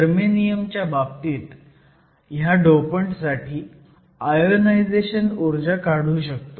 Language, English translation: Marathi, Similarly, in the case of germanium, we will find that the ionization energies are very small